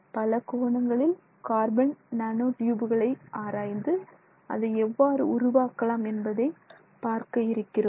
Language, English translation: Tamil, We will look a lot more at the carbon nanotube in our subsequent classes